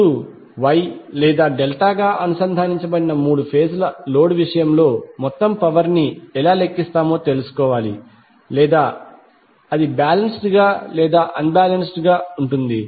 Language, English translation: Telugu, Now, we need to find out how we will calculate the total power in case of three phase load which may be connected as Y or Delta or it can be either balanced or unbalanced